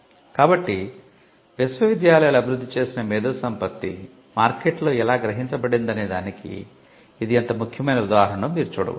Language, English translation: Telugu, So, you can see how important this is just a glimpse of how intellectual property developed by universities has been perceived in the market